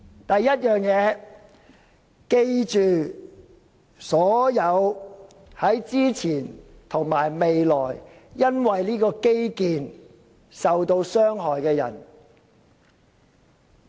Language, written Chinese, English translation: Cantonese, 第一，我們要記得所有在之前及未來因為這項基建而受到傷害的人們。, Firstly we should remember all those people who have previously suffered from and will be affected by this infrastructure project